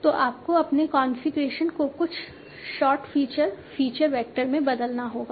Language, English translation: Hindi, So you will have to convert your configuration into some sort of features, feature vector